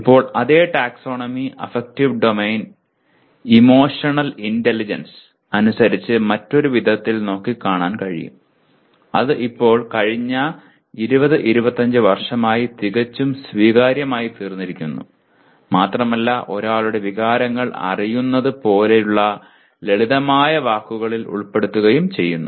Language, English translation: Malayalam, also be looked at in a different way as per emotional intelligence which is now for the last 20 25 years it has become quite accepted ones and putting in simpler words like knowing one’s emotions